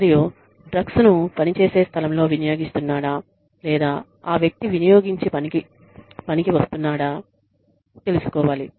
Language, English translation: Telugu, And, whether the drug use is, at the place of work, or, whether the person comes, you know, drugged to work